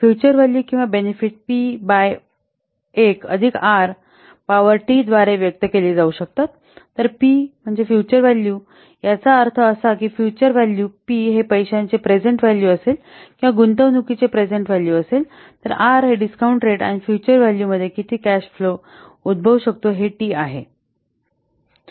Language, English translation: Marathi, The future value or the benefit can be expressed as p by 1 plus r to the part T where p is the future value, that means F is the future value, P is the present value of the money or the present value of the investment or the discount rate and the t the number of years into the future that the cash flow occurs